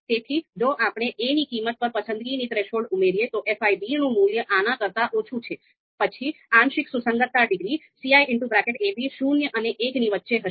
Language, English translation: Gujarati, So if we add the you know preference threshold on the value of a then the value of fi b is lower than this, then the partial concordance degree ci a,b is going to be lie, is going to lie between zero and one